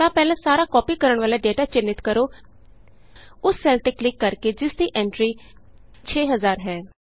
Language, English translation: Punjabi, Then first select all the data which needs to be copied by clicking on the cell which contains the entry, 6000